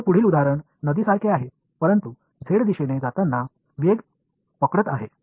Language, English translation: Marathi, The next example that I have is like the river, but it is catching speed as it goes along the z direction